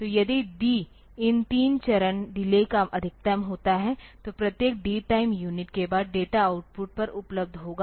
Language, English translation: Hindi, So, if D happens to be the maximum of these 3 stage delays then after every D time unit the data will be available at the output